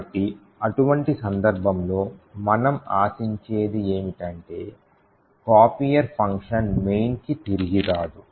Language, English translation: Telugu, So, in such a case what we can expect is that the copier function will not be able to return back to main